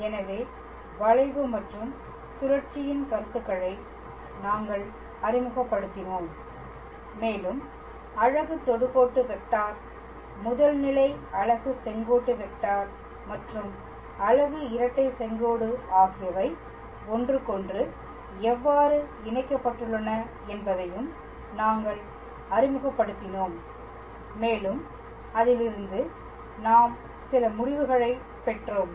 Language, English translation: Tamil, So, we introduced the concepts of curvature and torsion and we also introduced how the unit tangent vector unit principle normal and the unit binormal are connected with one another and we sort of derived some relations